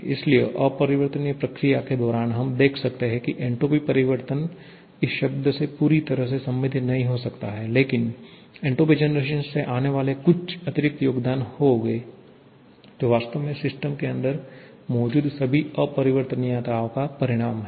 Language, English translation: Hindi, So, during the irreversible process, we can see that entropy change cannot be related fully to this term but there will be some additional contribution coming from the entropy generation which actually is a result of all the irreversibilities that are present inside the system